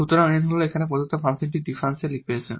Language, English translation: Bengali, So, that is the solution of this differential equation which we have considered